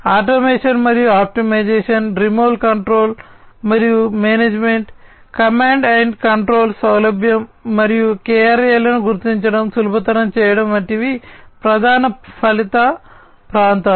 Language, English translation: Telugu, Enabling automation and optimization, remote control and management, ease of command and control, and facilitation of the identification of the KRAs, are the key result areas